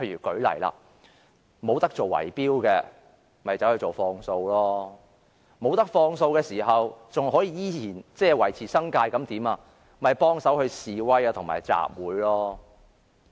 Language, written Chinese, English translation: Cantonese, 舉例說，不能做圍標的，便轉而做放數；不能放數的，但又依然要維持生計的，便幫忙去示威和集會。, For example when bid - rigging is out of the question one switches to usury; when usury is out of the question but if it is still necessary to make ends meet one gives a hand by taking part in demonstrations and assemblies